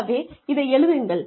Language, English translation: Tamil, So, write this down